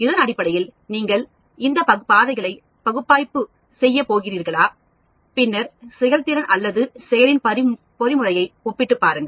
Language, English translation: Tamil, Then, based on that you are going to analyze these pathways, and then compare the performance or the mechanism of action